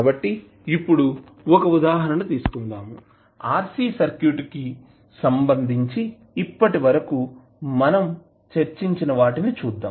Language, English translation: Telugu, So now, let us take 1 example and let us what we discussed till now related to RC circuit